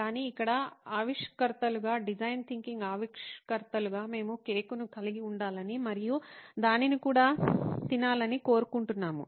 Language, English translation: Telugu, But here as innovators, as design thinkers, we are sort of want to have the cake and eat it too